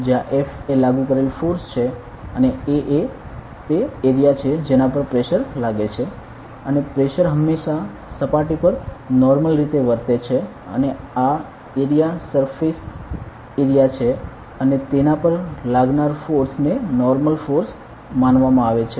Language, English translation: Gujarati, Where F is the force applied and A is the area on it is acting and pressure is always acting normal to the surface and this area is the surface area and the force acting on it is considered as the normal force acting on it ok